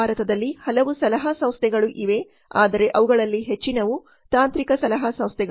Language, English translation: Kannada, There are so many consulting services firms in India, but most of them are technical consultancy firms